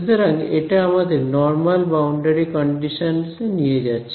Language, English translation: Bengali, So, that takes us to normal boundary conditions and I will use